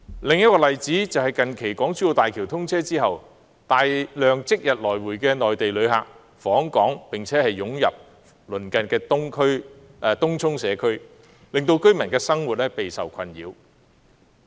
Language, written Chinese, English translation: Cantonese, 另一個例子是近期港珠澳大橋通車後，大量即日來回的內地旅客訪港並湧入鄰近的東涌社區，令居民的生活備受困擾。, Let me give another example . After the recent commissioning of the Hong Kong - Zhuhai - Macao Bridge HZMB a large number of Mainland day trippers visited Hong Kong flocked to the nearby community of Tung Chung seriously plaguing the lives of the local residents